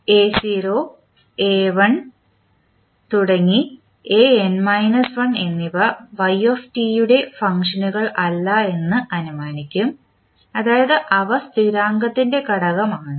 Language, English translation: Malayalam, We will assume that the a1 to a naught to a1 and an minus 1 are not the function of yt means they are the constants coefficient